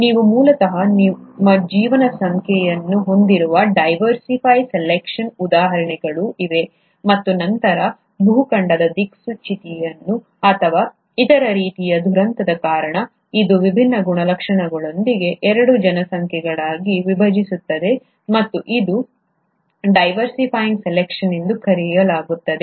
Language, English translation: Kannada, There are also examples of diversifying selection wherein you have originally your population, and then either because of a continental drift, or some other kind of catastrophe, this gets split into two populations with different characteristics and that is called as the diversifying selection